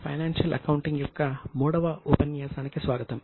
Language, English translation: Telugu, Welcome to the third session of financial accounting